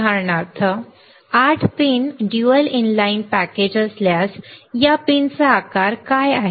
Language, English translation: Marathi, If for example, 8 pin dual inline package, what is this size of this pin